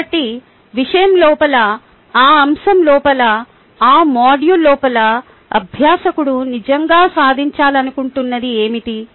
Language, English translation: Telugu, so, within the subject, within that topic, within that module, what is that you want the learner to really achieve